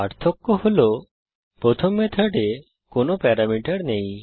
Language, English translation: Bengali, The difference is that the first method has no parameter